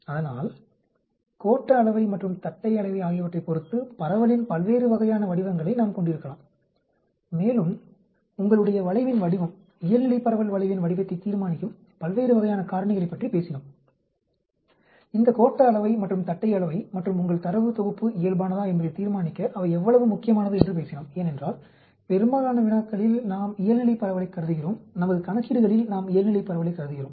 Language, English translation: Tamil, So, we can have different types of shapes of the distribution depending upon the skewness and kurtosis and so we talked about various types of factors which determine the shape of your curve, normal distribution curve, this skewness and kurtosis and how important it is to determine whether your data set is normal because in most of the problems we assume normal distribution, most our calculation we assume normal distribution